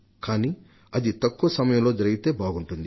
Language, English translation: Telugu, But the sooner this happens, the better it will be